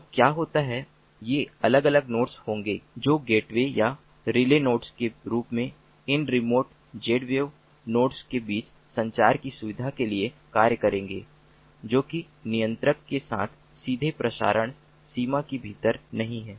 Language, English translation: Hindi, so what happens is there will be these different nodes which will be acting as sort of gateways or relay nodes to facilitate communication between these remote z wave nodes that are not within the direct transmission range with the controller